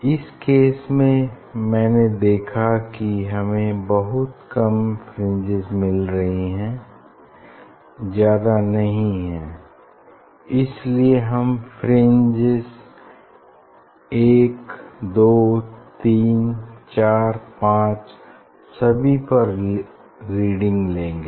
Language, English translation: Hindi, in this case I saw we are getting very few fringes not much in this case we will take reading of fringe 1 2 3 4 5